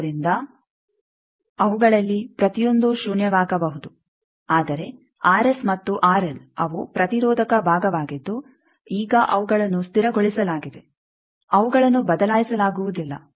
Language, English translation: Kannada, So, each of them can be zero, but R S R L they are the resistive part now they are fixed they cannot be changed